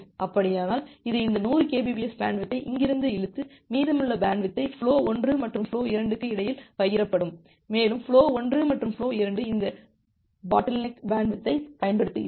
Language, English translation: Tamil, If that is the case, it will drag this 100 kbps bandwidth from here and then the remaining bandwidth will be shared between flow 1 and flow 2, and flow 1 and flow 2 are utilizing both this bottleneck bandwidth